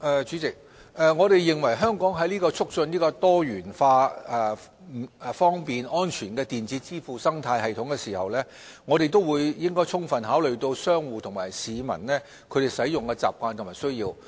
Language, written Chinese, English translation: Cantonese, 主席，我們認為，香港在促進多元化、方便和安全的電子支付生態系統時，亦應充分考慮商戶和市民的使用習慣和需要。, President in our view in the course of promoting a diversified convenient and secure electronic payment ecosystem in Hong Kong full consideration should also be given to the habits and needs of merchants and members of the public